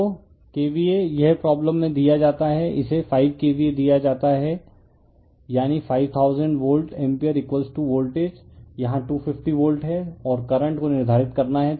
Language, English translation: Hindi, So, KVA it is given in the problem it is given 5 KVA; that means, 5000 volt ampere = voltage is 250 volt here and current you have to determine